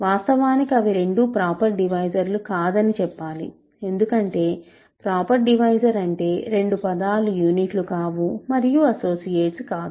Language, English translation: Telugu, Actually, I should say they are both not proper divisors because a proper divisor is one where both terms are not units and not associates, right